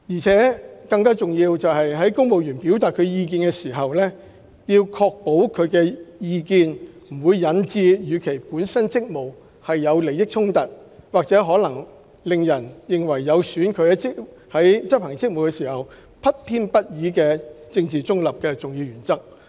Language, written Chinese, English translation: Cantonese, 更重要的是，公務員表達意見時，應確保有關意見不會引致與其本身職務有利益衝突，或可能令人認為有損其在執行職務時不偏不倚和政治中立的重要原則。, More importantly when civil servants express their views they should ensure that their views would not give rise to any conflict of interest with their official duties or give rise to the impression that the important principle of maintaining impartiality and political neutrality in the course of discharging duties might be compromised